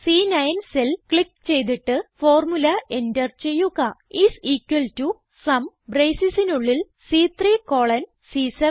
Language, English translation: Malayalam, Click on the cell referenced as C9 and enter the formula is equal to SUM and within braces C3 colon C7